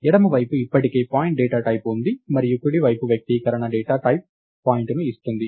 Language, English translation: Telugu, Left side is already of the data type point and the right side expression gives the data type point